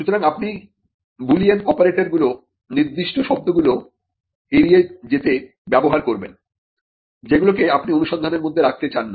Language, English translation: Bengali, So, you would use Boolean operators to avoid certain words which you do not want to figure in the search